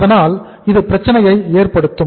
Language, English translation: Tamil, So that will create the problem